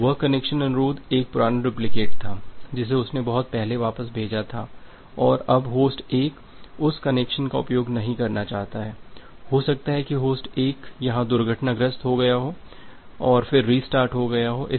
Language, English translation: Hindi, So, that connection request was a old duplicate that it has sent long back and now host 1 do not want to use that connection anymore, maybe host 1 has crashed here and then it got and restarted here, then it got restarted here